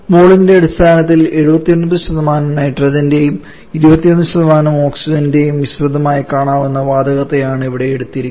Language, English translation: Malayalam, Here the situation is we are treating with here which can be viewed as a mixture of 79% nitrogen and 21% oxygen on mole basis